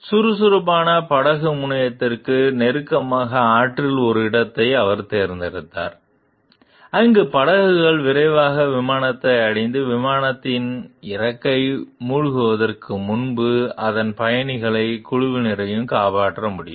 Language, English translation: Tamil, He also chose a location in the river close to an active ferry terminal, where boats could quickly reach the plane and remove its passengers and crews before the plane s wing sank